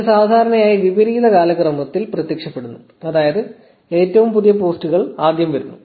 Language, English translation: Malayalam, This usually appears in reverse chronological order; meaning most recent posts come first